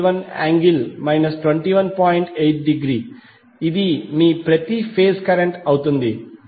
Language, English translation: Telugu, This will be your per phase current